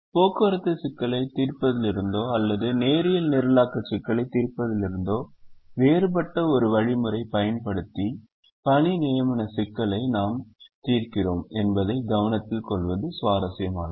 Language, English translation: Tamil, it is also interesting to note that we solve the assignment problem using a different algorithm which is very different from solving a transportation problem or solving a linear programming problem